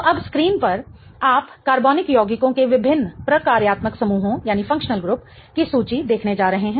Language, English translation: Hindi, So, now on screen you are going to see a table of different functional groups of organic compounds